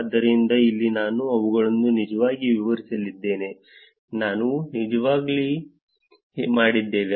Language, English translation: Kannada, So, here I am going to actually explain them, something we have already done